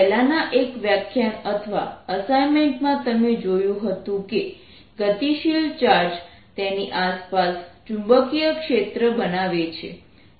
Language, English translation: Gujarati, in one of the previous lectures or assignments you seen that a moving charge create a magnetic field around it